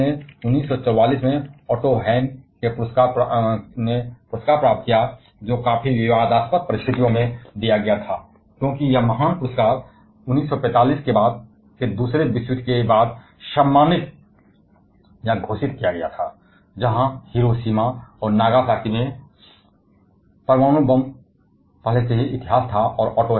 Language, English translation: Hindi, Their work led to the Noble of prize of Otto Hahn in 1944; which was given under quite controversial circumstances, because this noble prize was awarded or announced in the later part of 1945 post the second world war; where the atom bomb at Hiroshima and Nagasaki was already history